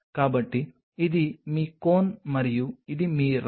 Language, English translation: Telugu, So, this is your Cone and this is your Rod